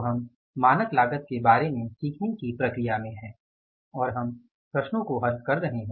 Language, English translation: Hindi, So, we are in the process of learning about the standard costing and we are solving the problems now